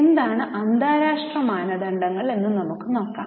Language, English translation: Malayalam, Now, let us look at what are the international standards